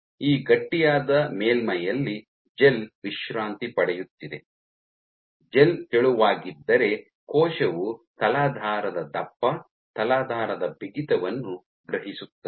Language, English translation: Kannada, So, this substrate, even this gel resting on a stiff surface, if the gel is thin then it turns out that the cell can actually sense the substrate thickness, substrate stiffness